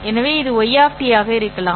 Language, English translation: Tamil, So, this could be Y of T